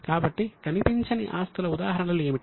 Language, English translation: Telugu, So, what are the examples of intangible assets